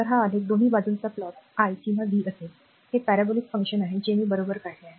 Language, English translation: Marathi, So, it is graph will be either this side you plot i or v, this is power it is a parabolic function just I have drawn right